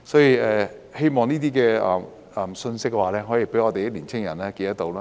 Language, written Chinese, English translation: Cantonese, 我希望這些信息可以讓我們的年輕人記着。, I hope that these messages will be remembered by our young people